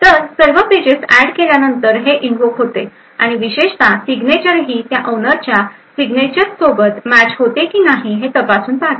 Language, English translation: Marathi, So, it is invoked after all the pages have been added and essentially it could verify that the signature matches that of the owner signature